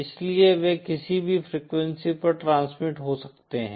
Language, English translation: Hindi, So they can transmit over any frequency